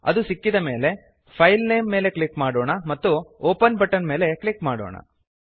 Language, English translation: Kannada, Once found, click on the filename And click on the Open button